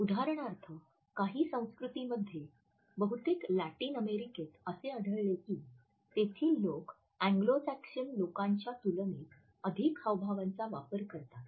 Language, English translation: Marathi, There are certain cultures for example, in most of the Latin American countries we find that people use more illustrators in comparison to their Anglo Saxon counterparts